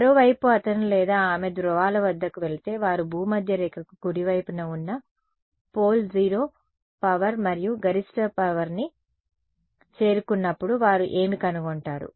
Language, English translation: Telugu, On the other hand if he or she went to the poles, what would they find that when they reach the pole 0 power and maximum power on the equator right